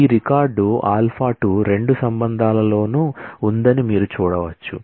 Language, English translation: Telugu, You can see that this record alpha 2 exists in both the relations